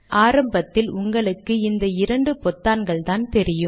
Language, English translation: Tamil, In the beginning however, you will see only these two buttons